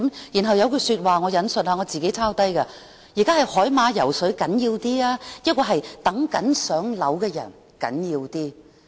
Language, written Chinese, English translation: Cantonese, 然後有一句說話，我抄低了，："現在是海馬暢泳重要，還是輪候公屋的人較為重要？, Then he made a remark which I have jotted down I quote Now which is more important seahorses swimming freely or people waiting for allocation of public housing?